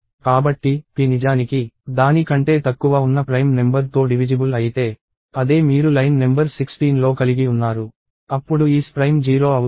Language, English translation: Telugu, So, if p is actually divisible by a prime number that is less than it, that is what you have in line number 16, then your is Prime becomes 0